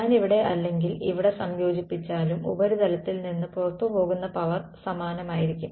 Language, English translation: Malayalam, So, I whether I integrate here or here the power that is leaving the surface going to be the same